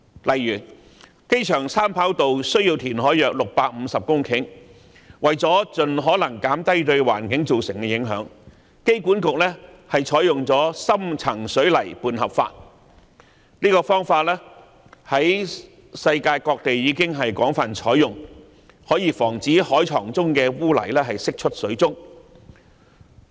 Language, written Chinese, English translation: Cantonese, 例如，機場三跑需填海約650公頃，為了盡可能減低對環境造成的影響，香港機場管理局採用了深層水泥拌合法，這方法在世界各地已廣泛採用，可以防止海床中的污泥釋出水中。, One example is the third airport runway which requires the creation of around 650 hectares of land through reclamation . In order to minimize its environmental impact the Airport Authority Hong Kong has adopted the deep cement mixing method a method widely applied in various places of the world which can prevent the release of mud from the seabed into the water